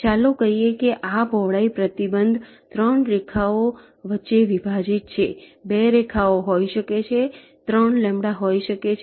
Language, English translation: Gujarati, let say this width restriction has been: separation between the three lines can be two lines, can be three lambda